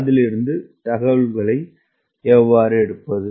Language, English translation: Tamil, how do i take information from that